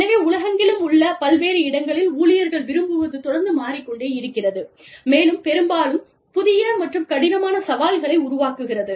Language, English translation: Tamil, So, what employees want, in various locations, around the world, is constantly changing, and often creates new and difficult challenges